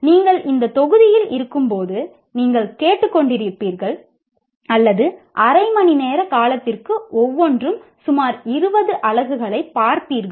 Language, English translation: Tamil, So you will be, in this module, you will be listening to or you will be viewing 20 units of about half hour